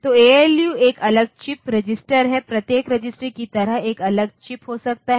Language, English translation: Hindi, So, ALU is a separate chip register each register maybe a separate chip like that